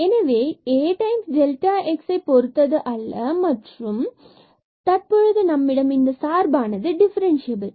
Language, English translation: Tamil, So, A was free from delta x, and now we got that this f is differentiable because that was the definition of the differentiability